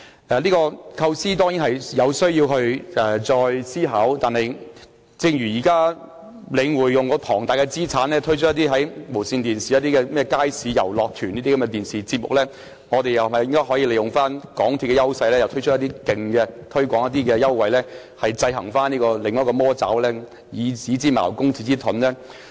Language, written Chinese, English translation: Cantonese, 這個構思當然需要再加以思考，但正如現時領展利用龐大的資產，在無綫電視推出一個名為"街市遊樂團"的電視節目，我們又是否可以利用港鐵公司的優勢，推出一些更大的優惠，來制衡另一個"魔爪"，以子之矛，攻子之盾呢？, This idea certainly needs further consideration but as Link REIT has now used its enormous resources to air a television programme called Bazaar Carnivals on TVB Jade can we make use of the advantage of MTRCL to introduce greater offers to contain the other evil using the two evils to counteract each other?